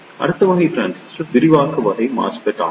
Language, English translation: Tamil, The next type of transistor is the Enhancement type MOSFET